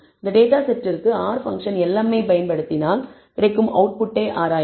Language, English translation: Tamil, And if we apply the R function lm to this data set and we examine the output